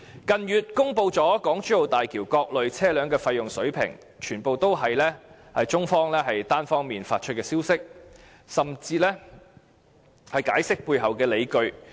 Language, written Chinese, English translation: Cantonese, 近月中國政府公布了港珠澳大橋各類車輛的收費水平，全部也是由中方單方面發出消息，甚至解釋背後的理據。, In recent months the Chinese Government has announced the HZMB toll levels for different types of vehicles . The Chinese side has unilaterally released this information and even explained the supporting grounds for the tolls